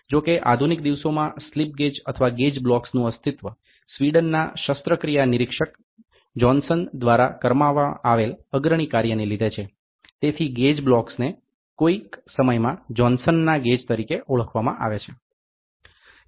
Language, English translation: Gujarati, However, in modern days slip gauges or gauge blocks owe their existence to the pioneering work done by Johansson, a Swedish armoury inspector therefore, the gauge block is sometime called as Johanasson’s gauge